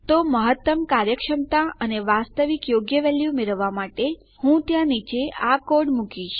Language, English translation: Gujarati, So, for maximum efficiency and to get the actual correct value Ill put this code down there